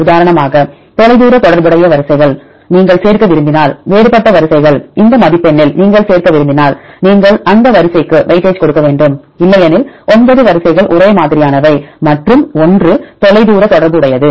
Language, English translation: Tamil, If you want to include the distant related sequences for example, divergent sequences, if you want to include in this score then you have to give weightage to the sequence, otherwise if nine sequence are homologous and one is a distant related one